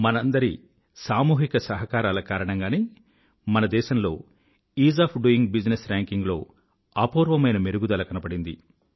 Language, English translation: Telugu, It is due to our collective efforts that our country has seen unprecedented improvement in the 'Ease of doing business' rankings